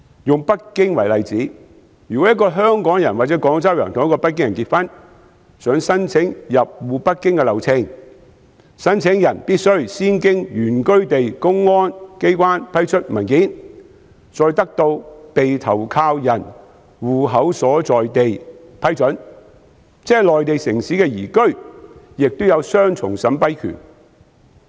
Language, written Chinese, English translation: Cantonese, 以北京為例，如果一個香港人或廣州人與北京人結婚，想申請入戶北京，流程是申請人必須先經原居地公安機關批出文件，再得到被投靠人戶口所在地批准，即內地城市的移居亦有雙重審批權。, In Beijing for example if a Hongkonger or Guangzhouese married to a Beijinger wants to apply for household registration in Beijing the procedure dictates that the applicant must first have documents issued by the public security authorities in the place of domicile and then obtain approval from where the hosting spouses household registration is located . In other words migration between Mainland cities is subject to dual approval